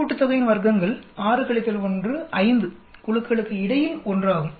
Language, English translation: Tamil, So the total sum of squares is 6 minus 1, 5, between groups is 1